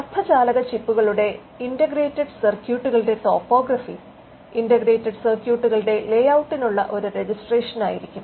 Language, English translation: Malayalam, Topography of integrated circuits of semiconductor chips, they could be a registration for layout of integrated circuits